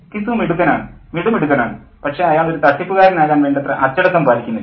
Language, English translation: Malayalam, And he says that Gisou is clever, clever all right, but he is not disciplined enough to become a conman